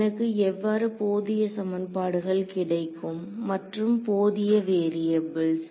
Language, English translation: Tamil, How will I get enough equations and enough variables